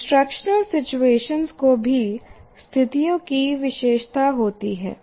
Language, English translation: Hindi, And then instructional situations are also characterized by conditions